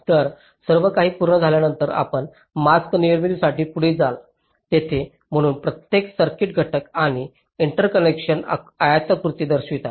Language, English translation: Marathi, ok, so, after everything is done, you proceed for mask generation, where so every circuit, element and interconnection are represented by rectangles